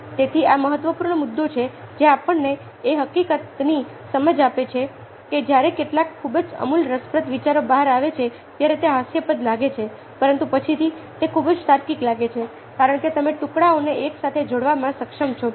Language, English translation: Gujarati, so these are important issues that ah give us insight to the fact that when some very radical, interesting ideas emerge, they look ridiculous but afterwards they seem very, very logical because you are able to link the pieces together